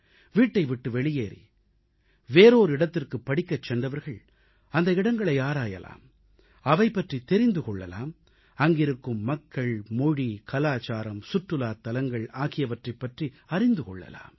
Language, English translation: Tamil, Young people who leave their homes for the sake of studies should discover their new places, know more about the people, language, culture & tourism facets related to them